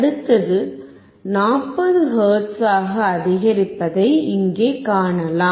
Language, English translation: Tamil, Here you can see the next one is increasing to 40 hertz